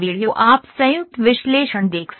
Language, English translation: Hindi, You can see the joint analysis